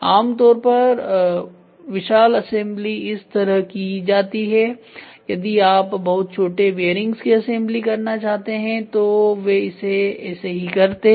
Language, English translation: Hindi, Generally vast assembly is done like that if you want to do bearing assembly of very small bearings very small bearing they do it like that